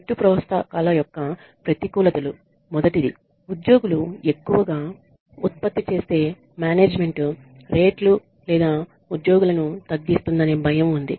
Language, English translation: Telugu, The disadvantages of team incentives are number one: the fear there is a fear that management will cut rates or employees, if employees produce too much